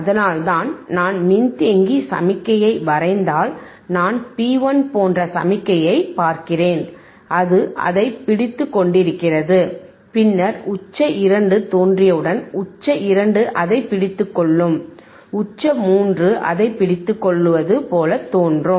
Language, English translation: Tamil, tThat is why, if I just draw the capacitor signal, then what I look at it I look at the signal like P 1 then it, it is holding it, then as soon as peak 2 appears peak 2 holding it, peak 3 holding it